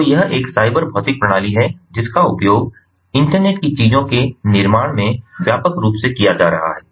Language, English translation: Hindi, so this is a cyber physical system which is being used wide, widely, ah, in in the building of internet of things